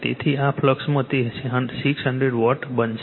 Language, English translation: Gujarati, So, it will become 600 Watt right